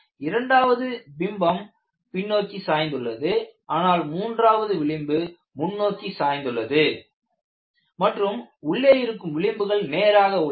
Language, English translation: Tamil, The first fringe is backward tilted; the second fringe is also backward tilted; the third fringe is forward tilted and the inner fringe is almost straight